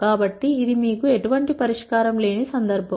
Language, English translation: Telugu, So, this is a case where you will not have any solution